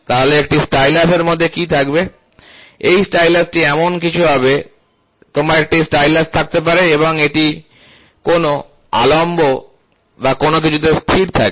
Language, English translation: Bengali, So, what happens in a stylus, this stylus will be something like, you can have a stylus and this can be resting on a something on a fulcrum or something